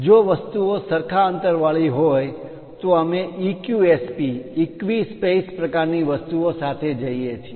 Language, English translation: Gujarati, If things are equi spaced we go with EQSP equi space kind of things